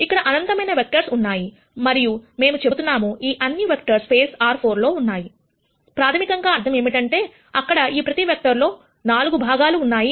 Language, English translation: Telugu, There are in nite number of vectors here and we will say all of these vectors are in space R 4 , which basically means that there are 4 components in each of these vectors